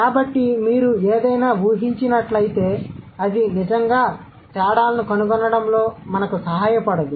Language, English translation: Telugu, So, if you assume something it may convey, that doesn't really help us to find out the differences